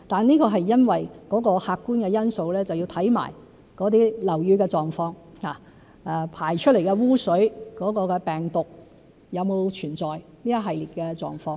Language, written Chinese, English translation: Cantonese, 這是因為客觀的因素，即是要看看樓宇的狀況、排出的污水有沒有存在病毒等一系列的狀況。, This is due to the objective factor depending on a series of conditions like the condition of buildings and the presence of virus in sewage . Social class is never a factor of consideration